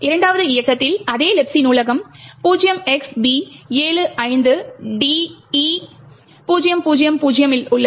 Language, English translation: Tamil, While in the second run the same Libc library is present at the 0xb75de000